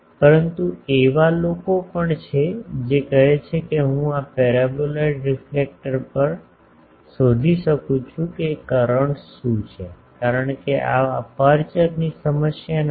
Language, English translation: Gujarati, But, there are also people you can say that I can also find out at this paraboloid reflector what is the current because, this is not an aperture problem